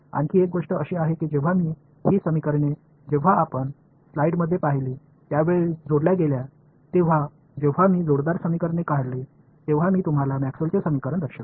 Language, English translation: Marathi, Another thing is that when these equations are coupled as you saw in the slides before when I showed you Maxwell’s equations when I have coupled equations the equation of a wave comes out